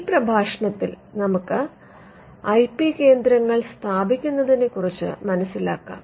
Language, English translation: Malayalam, Now, in this lecture we will look at setting up IP centres